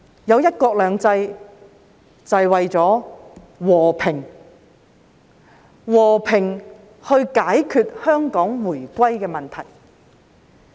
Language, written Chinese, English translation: Cantonese, 有"一國兩制"是為了和平，和平地解決香港回歸的問題。, One country two systems is for the sake of peace . It serves to resolve the issue of Hong Kongs reunification with the Motherland in a peaceful manner